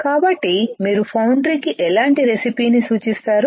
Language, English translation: Telugu, So, what kind of recipe you will recommend foundry